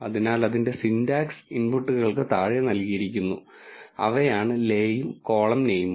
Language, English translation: Malayalam, So, its syntax is given below the inputs are le and column name